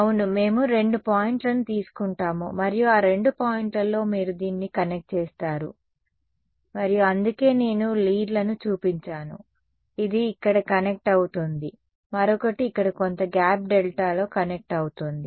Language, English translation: Telugu, Yeah, we take two points and across those two points you connect this and so, that is why that is I have shown the leads like this one is connecting here the other is connecting over here right across some gap delta